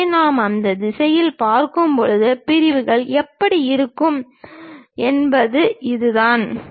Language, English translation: Tamil, So, this is the way the sections really looks like, when we are really looking it in that direction